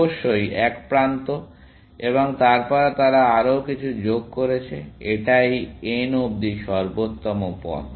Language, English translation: Bengali, This of course, is one edge and then, they added some more; that is the optimal path to n